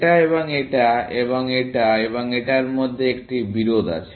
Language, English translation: Bengali, There is a contradiction between this and this, and this and this